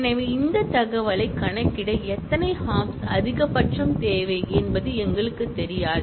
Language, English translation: Tamil, So, we do not really know how many hops, maximum would be required to compute this reachability information